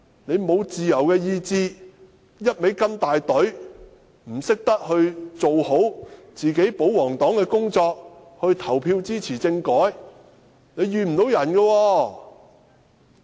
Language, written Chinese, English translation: Cantonese, 你們沒有自由的意志，只會跟從大隊，不懂得做好保皇黨的工作，投票支持政改，不能埋怨別人。, Devoid of any independent thinking you people only knew that you must follow the order . But you did not know how to do a good job as royalists and ended up failing to vote for the constitutional reform package